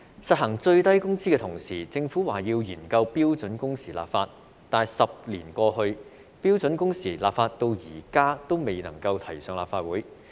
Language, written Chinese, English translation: Cantonese, 實行最低工資的同時，政府表示要研究為標準工時立法，但10年過去，標準工時立法至今仍未能提交立法會。, With the implementation of minimum wage the Government said it would study the legislation on standard working hours . However 10 years have passed but the Government has yet to submit the proposed legislation on standard working hours to the Legislative Council